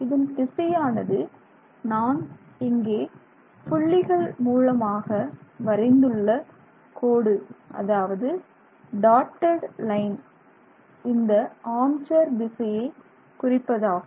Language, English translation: Tamil, So, this direction, this dotted line that I have drawn here is the arm chair direction